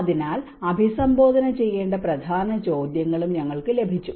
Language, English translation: Malayalam, So, we also got key questions that are to be addressed